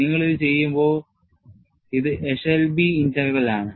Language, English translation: Malayalam, And when you do like this, this is your Eshelby's integral and what does the Eshelby's result says